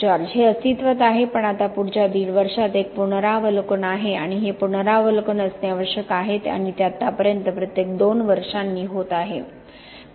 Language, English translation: Marathi, About the concrete It has been in existence but there is now a review over the next year and half, and that it is necessary to have these reviews and it has been happening every couple of years so far